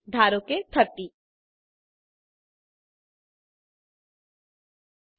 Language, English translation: Gujarati, Lets say 30